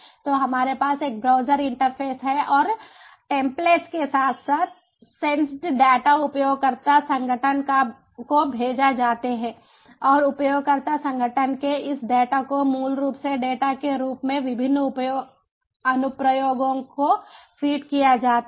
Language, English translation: Hindi, so we have a browser interface and the template as well as the sensed data are sent to the user organization and this data from the user organization are basically fade as data feeds to diverse applications